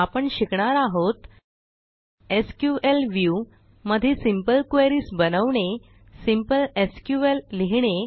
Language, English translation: Marathi, In this tutorial, we will learn how to Create Simple Queries in SQL View, Write simple SQL